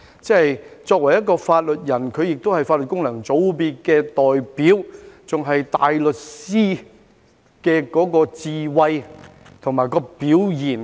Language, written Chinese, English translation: Cantonese, 他作為法律界人士，也是法律界功能界別的代表，還是大律師的智慧和表現。, He was a member of the legal profession and a representative of the Legal Functional Constituency . His wisdom or performance represented that of a barrister